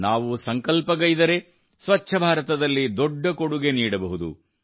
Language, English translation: Kannada, If we resolve, we can make a huge contribution towards a clean India